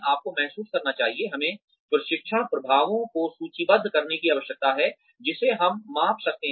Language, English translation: Hindi, You must realize, we need to list the training effects, that we can measure